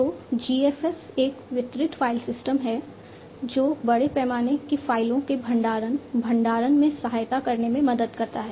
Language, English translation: Hindi, So, GFS is a distributed file system that helps in supporting in the storing, storage of large scale files